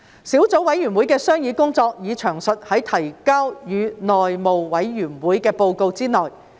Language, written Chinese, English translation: Cantonese, 小組委員會的商議工作已詳述在提交予內務委員會的報告內。, The deliberation of the Subcommittee is detailed in the report submitted to the House Committee